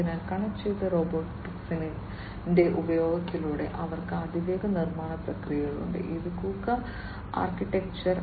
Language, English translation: Malayalam, So, they have super fast manufacturing processes through, the use of connected robotics and this is the KUKA architecture